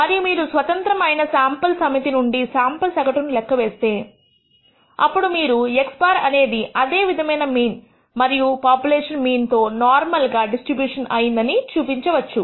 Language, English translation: Telugu, And if you compute the sample average from this set of samples independent samples, then you can prove that x bar is also normally distributed with the same mean population mean mu